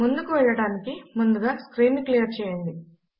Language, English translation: Telugu, Before moving ahead let us clear the screen